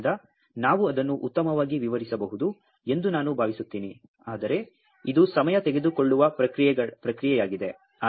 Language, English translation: Kannada, So, I think we can explain it better, but it is a time consuming process